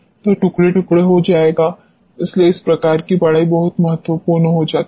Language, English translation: Hindi, So, will crumble; so, this type of studies become very important